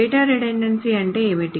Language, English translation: Telugu, So what does data redundancy mean